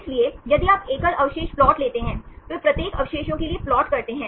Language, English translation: Hindi, So, if you take the single residue plot, they plot for each residue